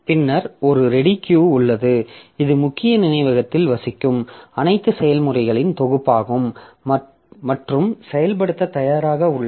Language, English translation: Tamil, Then there is a ready queue which is the set of all processes residing in the main memory and ready for execution